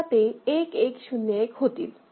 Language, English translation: Marathi, So, 1 0 0 1 will be appearing